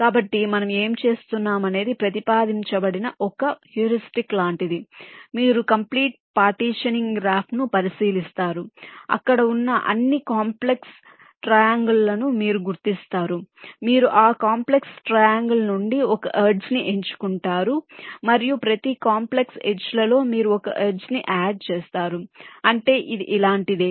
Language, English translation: Telugu, so what we do one possible heuristic that has been proposed is something like this: you consider the complete partitioning graph, you identify all complex triangles that exists there, you select one edge from each of those complex triangles and in each of edges you add one edge, which means it is something like this: let say, your complex triangle look like this